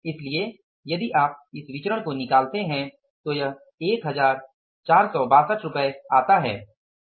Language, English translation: Hindi, So, if you calculate this variance this works out as rupees 1 4